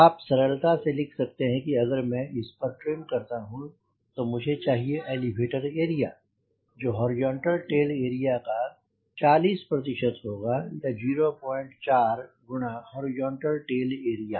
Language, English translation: Hindi, so you can easily write here: if i want to trim this, i need area as elevator area, as point four, times horizontal tail area, and you have already v